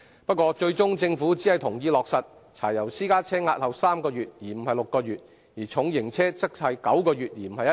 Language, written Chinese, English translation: Cantonese, 不過，最終政府只同意落實柴油私家車押後3個月，而不是6個月；而重型車則押後9個月，而非1年。, Nevertheless the Government eventually only agreed to grant a deferral of three months instead of six months for diesel private cars and a deferral of nine months instead of one year for heavy duty vehicles